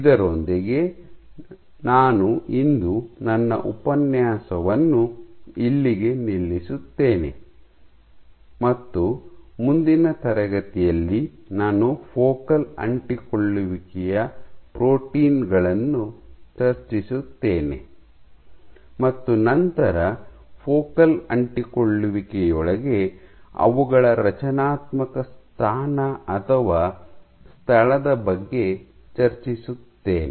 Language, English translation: Kannada, With that I stop here for today and I will continue in next class discussing some more of the focal adhesion proteins and then discussing about their structural position or location within the focal adhesion